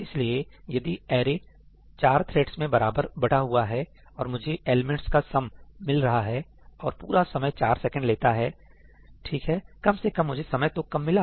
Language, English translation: Hindi, So, if the array has been equally divided among the 4 threads and I get the sum of the elements as something, and the total time taken is 4 seconds ñ right, at least I got the time down